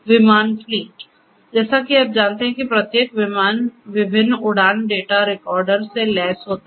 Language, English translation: Hindi, So, you know aircraft fleet; aircraft fleet each aircraft as you know is equipped with different flight data recorders